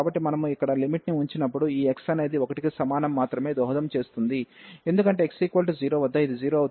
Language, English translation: Telugu, So, when we put the limit here only this x is equal to 1 will contribute, because at x equal to 0 will make this 0